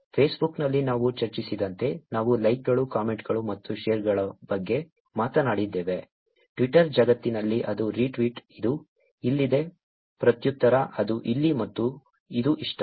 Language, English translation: Kannada, As we discussed in Facebook, we talked about likes, comments and shares, in the Twitter world it is retweet, which is here, reply, that is here and this is like